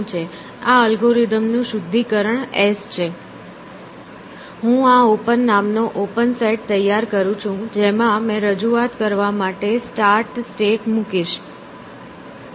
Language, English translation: Gujarati, So, what is this, this refinement of this algorithm is s, I create this open set, set called open, in which I put the start state to begin with